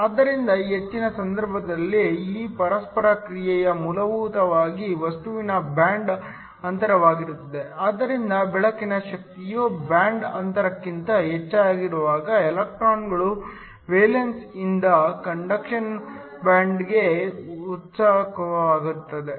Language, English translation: Kannada, So, In most cases this interaction is essentially the band gap of the material, so that when the energy of the light is greater than the band gap, electrons are excited from the valence to the conduction band